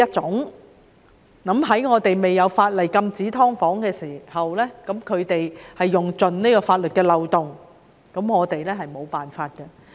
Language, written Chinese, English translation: Cantonese, 在本港未有法例禁止經營"劏房"的情況下，業主們用盡法律的漏洞，我們是無法處理的。, In the absence of legislation to prohibit the operation of subdivided units in Hong Kong some landlords have taken full advantage of the loopholes in this area and we can do nothing about it